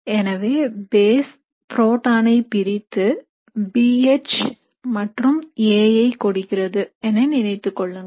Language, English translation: Tamil, So you can imagine the base abstracting the proton to give you B H and giving you A